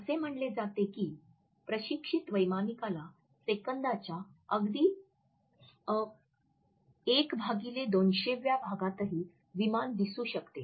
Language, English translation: Marathi, It is said that a train pilot can purportedly identify a plane flashes as briefly as 1/200th of a second